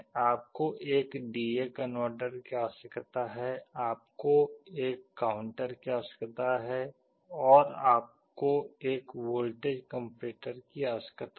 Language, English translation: Hindi, You need a D/A converter, you need a counter, and you need a voltage comparator